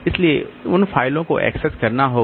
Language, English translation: Hindi, So, those files are to be accessed